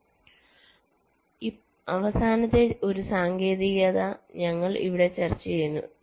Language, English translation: Malayalam, so, and one last technique we discuss here